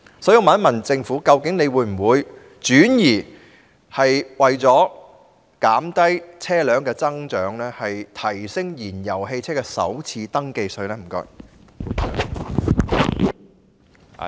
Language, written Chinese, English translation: Cantonese, 所以，我想問政府究竟會否為了減低車輛數目的增長，轉而調高燃油汽車的首次登記稅？, I would therefore like to ask the Government whether it would switch to introducing an increase in FRT for fuel - engined vehicles so as to suppress the growth in the number of vehicles?